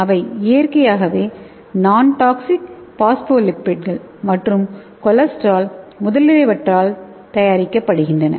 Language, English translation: Tamil, and it is made by naturally non toxic phospholipids and cholesterol